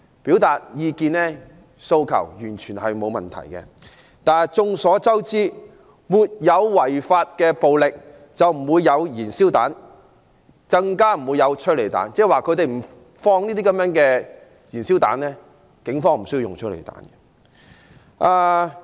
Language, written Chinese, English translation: Cantonese, 表達意見和訴求，完全不是問題，但眾所周知，沒有違法的暴力就不會有燃燒彈，更不會有催淚煙，即如果示威人士不投擲燃燒彈，警方就無須使用催淚彈。, Expression of views and demands is definitely not an issue . Yet it is obvious to all that if there was no unlawful violence there would not be any petrol bombs not to say tear gas . In other words if protesters did not hurl petrol bombs the Police would not have to fire tear gas canisters